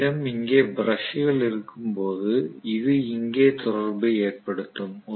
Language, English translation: Tamil, Now, we will have brushes which will make contact here